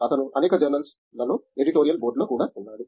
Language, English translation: Telugu, He is also in the editorial board of several journals